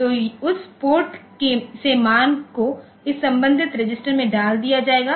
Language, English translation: Hindi, So, from that port the value will be put into this corresponding register